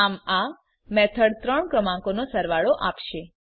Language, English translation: Gujarati, So this method will give sum of three numbers